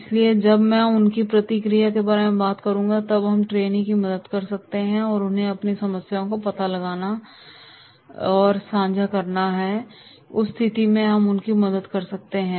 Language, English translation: Hindi, So when I talk about their feedback, when we talk about the trainees that is they have to come forward and they have to find out and share their problems and therefore in that case we can help them